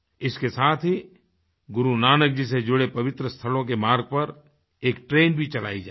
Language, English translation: Hindi, Besides, a train will be run on a route joining all the holy places connected with Guru Nanak Dev ji